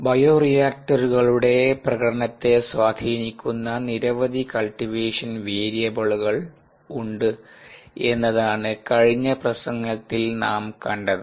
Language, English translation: Malayalam, what we saw in the previous lecture ah was that there are ah many cultivation variables that impact the performance of bioreactors ah